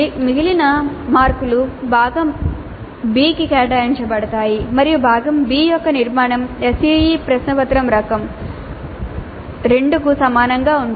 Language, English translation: Telugu, The remaining marks are related to part B and the structure of part B is quite similar to the SCE question paper type 2